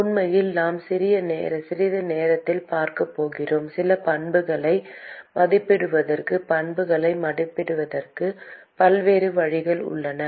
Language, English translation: Tamil, In fact, we are going to see in a short while in order to estimate some of the properties, there are many different ways to estimate properties